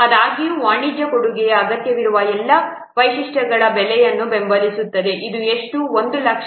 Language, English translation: Kannada, However, commercial offering support, supporting almost all the required features cost this, how much 1 lakh